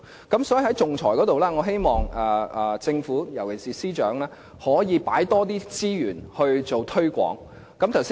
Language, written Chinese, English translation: Cantonese, 因此，在仲裁方面，我希望政府，由其是司長可以投放更多資源進行推廣工作。, In the area of arbitration therefore I hope the Government and especially the Secretary can allocate more resources to do promotion work